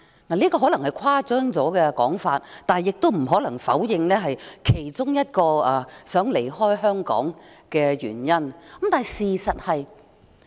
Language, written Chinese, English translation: Cantonese, 這說法可能有些誇張，但不可否認是令人想離開香港的其中一個原因。, This view might be a bit exaggerating but it cannot be denied that this is one of the reasons for people to leave Hong Kong